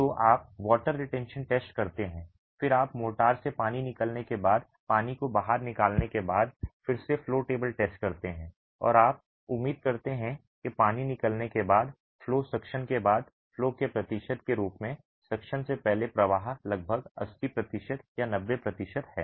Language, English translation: Hindi, So, you do a water retention test and then you carry out the flow table test again after carrying out the water, after removing the water from the motor and you expect that the flow after the water is removed, flow after suction as a percentage of the flow before suction is about 80% or 90%